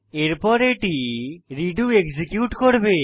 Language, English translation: Bengali, Then it will execute redo